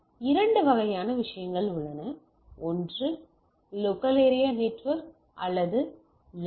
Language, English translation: Tamil, So, we have two type of things one is a Local Area Network or LANs right